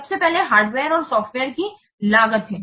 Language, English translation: Hindi, So those costs, this is the hardware and software cost